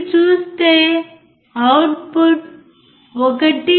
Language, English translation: Telugu, And if you see the output is 1